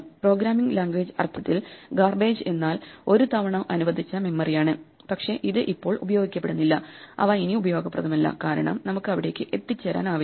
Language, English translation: Malayalam, Garbage in the programming language sense is memory which has been allocated once, but it is not being used anymore and therefore is not useful anymore, because we cannot reach it in some sense